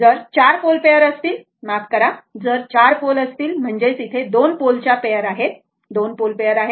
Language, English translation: Marathi, If you have 4 pole pair sorry, if you have 4 poles; that means, you have 2 poles pairs, this is pole pairs right